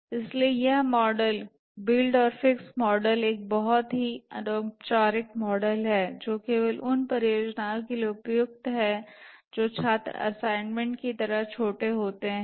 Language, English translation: Hindi, So this model, build and fix model is a very, very informal model, suitable only for projects where which is rather trivial like a student assignment